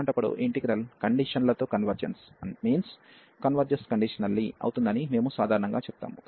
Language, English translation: Telugu, In that case, we call usually that this integral converges conditionally